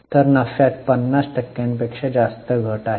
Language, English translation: Marathi, So, more than 50% fall in the profit